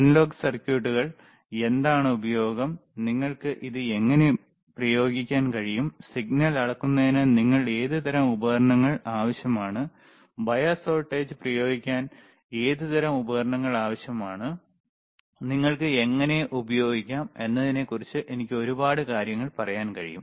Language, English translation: Malayalam, I can tell you a lot of things about analog circuits, what is the use, how you can apply it, what kind of equipment you require for measuring the signal, what kind of equipment you require to apply the bias voltage, how can you can use multimeter, right